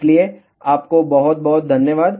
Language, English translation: Hindi, So, thank you very much